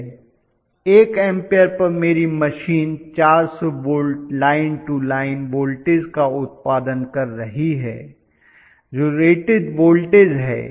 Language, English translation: Hindi, At 1 ampere my machine is producing 400 volts line to line voltage which is the rated voltage